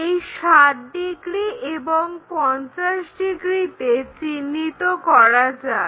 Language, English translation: Bengali, So, let us mark that 60 degrees and this is 50 degrees